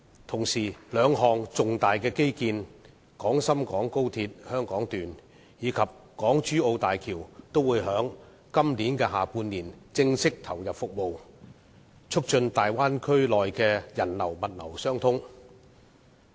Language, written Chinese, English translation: Cantonese, 同時，兩項重大基建：廣深港高速鐵路香港段及港珠澳大橋也會在今年下半年正式投入服務，促進大灣區內的人流和物流相通。, At the same time two major infrastructure projects the Hong Kong Section of the Guangzhou - Shenzhen - Hong Kong Express Rail Link and the Hong Kong - Zhuhai - Macau Bridge commencing services officially in the second half of this year will facilitate people and cargo flow in the Bay Area